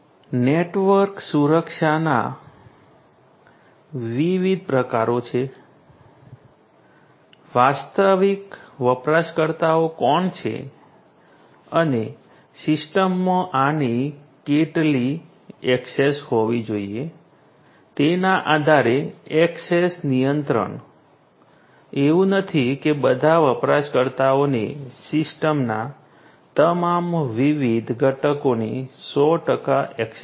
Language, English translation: Gujarati, There are different types of network security you know access control based on who the actual users are and how much access this should have in the system, not that all users are going to have 100 percent access to all the different components of the system